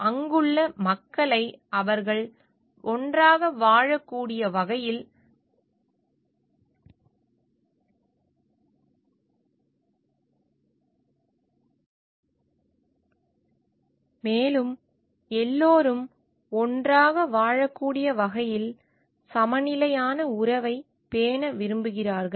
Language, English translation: Tamil, They care for the people that there the around, and they want to like maintain a balanced relation so that everybody can coexist